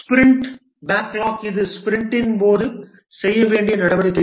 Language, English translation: Tamil, The sprint backlog, this is the activities to be done during the sprint